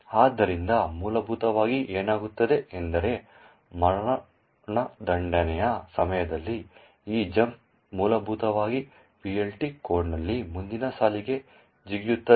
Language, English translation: Kannada, So, essentially what happens is that during the execution this jump essentially jumps to the next line in the PLT code